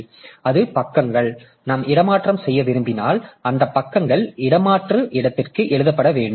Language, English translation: Tamil, So, those pages so if we want to swap out then those pages are to be written to the swath space